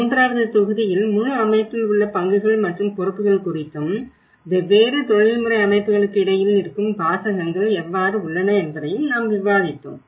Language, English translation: Tamil, And in the third module, we also discussed about the roles and the responsibilities like the whole setup and how there is a jargon between different professional bodies